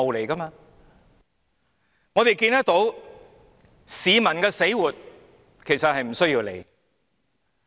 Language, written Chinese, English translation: Cantonese, 我們可以看到，市民的死活其實是不用理會的。, We can see that in fact there is no need to be concerned about the well - being of the public